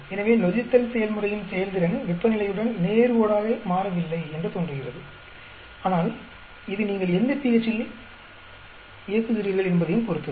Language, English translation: Tamil, So, the performance of the fermentation process seems to be not linearly changing in with temperature, but it also depends on at what pH you are running at